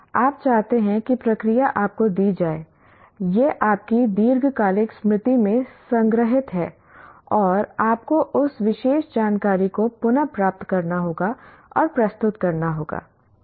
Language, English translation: Hindi, You want the procedure is given to you, it is stored in your long term memory and you have to retrieve that particular information and present